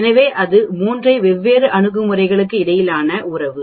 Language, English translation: Tamil, So that is the relationship between the 3 different approaches